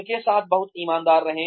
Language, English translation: Hindi, Be very honest with them